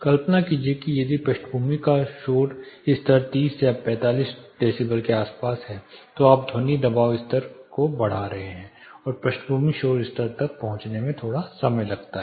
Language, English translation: Hindi, Imagine if the background noise level is around 30 35 decibels then you are elevating the sound pressure level and it takes while to reach the background noise level again